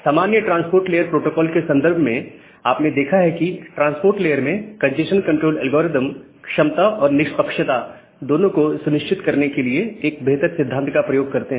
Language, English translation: Hindi, In the context of generic transport layer protocols, you have looked into that this congestion control algorithms in a transport layer, they use a nice principle to ensure both efficiency as well as fairness